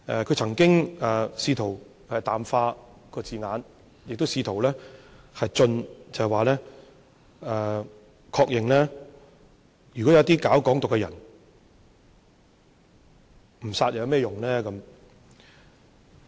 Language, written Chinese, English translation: Cantonese, 他曾經試圖淡化字眼，亦試圖進取，即確認說對於搞"港獨"的人，不殺有何用。, He has tried to play down the wording and also attempted to be aggressive by affirming that advocates of Hong Kong independence should be killed